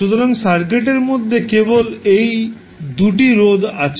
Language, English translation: Bengali, So, what we left in the circuit is only these 2 resistances